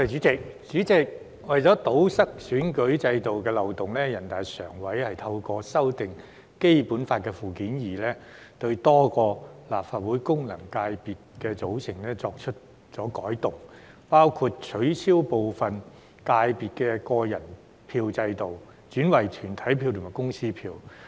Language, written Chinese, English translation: Cantonese, 主席，為了堵塞選舉制度的漏洞，人大常委會透過修訂《基本法》附件二，對多個立法會功能界別的組成作出修改，包括取消部分界別的個人票制度，轉為團體票及公司票。, Chairman in order to plug the loopholes in the electoral system the Standing Committee of the National Peoples Congress NPCSC revamped the composition of a number of functional constituencies FCs in the Legislative Council by amending Annex II to the Basic Law including replacing individual votes with corporate votes in some FCs